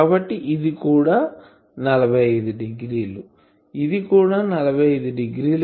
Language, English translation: Telugu, So, this is 45 degree , this will be also 45 degree